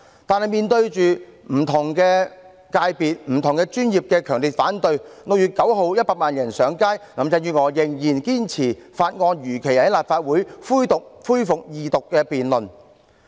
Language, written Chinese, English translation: Cantonese, 然而，面對不同界別和專業的強烈反對，以及在6月9日100萬人上街，林鄭月娥仍然堅持《條例草案》如期在立法會恢復二讀辯論。, Nevertheless defying the strong opposition from various sectors and professions and the 1 million people taking to the streets on 9 June Carrie LAM insisted that the Second Reading debate on the Bill be resumed in the Legislative Council as scheduled